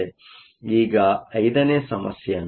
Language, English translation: Kannada, Let us now look at the 5th problem